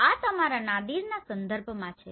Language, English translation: Gujarati, This is with respect to your Nadir